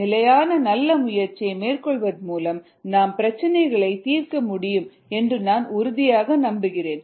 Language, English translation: Tamil, i am sure, with the consistent, good effort, you would be able to solve problems